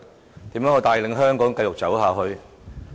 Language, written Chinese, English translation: Cantonese, 他要怎樣帶領香港繼續走下去？, How should he or she lead Hong Kong in its journey ahead?